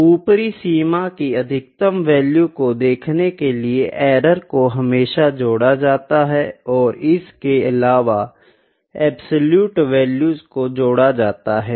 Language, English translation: Hindi, So, to see the maximum value to see the upper bound, the errors are always added and moreover the absolute values are added